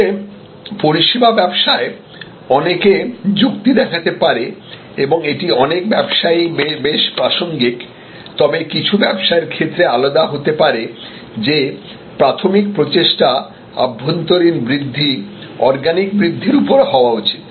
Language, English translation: Bengali, But, again in services business one can argue and this is quite relevant in many businesses, but could be different in some businesses that primary emphasis should be on internal growth, organic growth